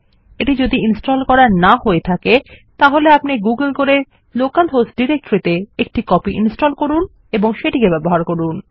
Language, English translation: Bengali, If it isnt installed yet, I would suggest you google it and install a copy on the local host directory and start using it